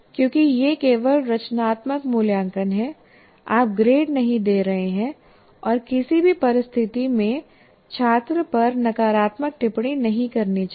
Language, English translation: Hindi, Under no circumstance, because it's only formative assessment, you are not giving grades, under no circumstance, one should negatively comment on the student